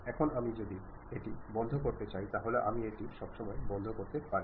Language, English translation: Bengali, Now, I would like to close it; I can always close it